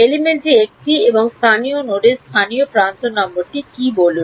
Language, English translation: Bengali, Say element a and local node the local edge number what